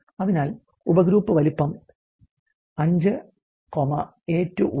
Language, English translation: Malayalam, So, subgroup size 5 subgroup size 5, A2 is 1